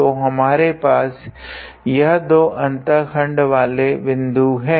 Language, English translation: Hindi, So, we have these two points of intersection